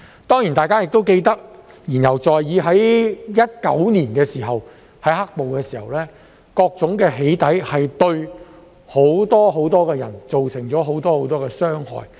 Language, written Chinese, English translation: Cantonese, 當然，大家都記得——言猶在耳——在2019年"黑暴"的時候，各種"起底"對很多人造成很多傷害。, Certainly all of us can recall―something still fresh in our memories―that during the black - clad violence in 2019 various doxxing activities caused considerable harm to many people